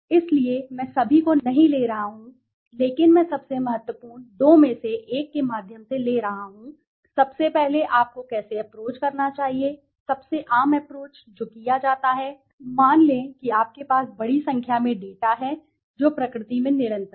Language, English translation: Hindi, So, I am not taking all but I am taking through two some of the really important once, first of all how you should approach, the most common approach that is done is, suppose you have a large number of let say data which is continuous in nature